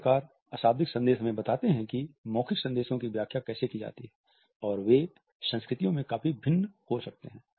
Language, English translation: Hindi, So, nonverbal messages tell us how to interpret verbal messages and they may vary considerably across cultures